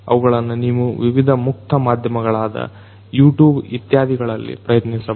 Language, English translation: Kannada, You could try it out in different open media such as YouTube etc